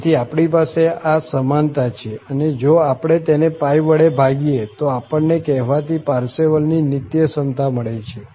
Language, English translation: Gujarati, So, we have this equality which is just, if we divide by pi, we are getting this the so called Parseval's Identity